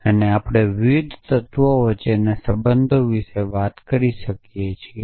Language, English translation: Gujarati, And we can talk about relation between the different elements essentially